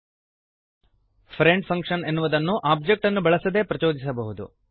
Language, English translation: Kannada, Friend function can be invoked without using an object